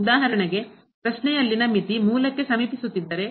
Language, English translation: Kannada, For example, if the limit in the question is approaching to the origin